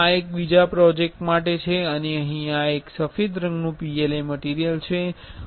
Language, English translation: Gujarati, This is for one another project and here this is a white color PLA material